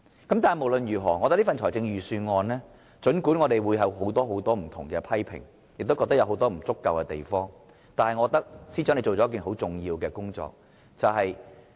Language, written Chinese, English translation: Cantonese, 但是，無論如何，儘管我們對這份預算案有很多不同的批評，亦認為它有很多不足之處，但我覺得司長做了一件很重要的工作。, But despite the many criticisms we have against the Budget or the many insufficiencies we think it has the Financial Secretary has done an important job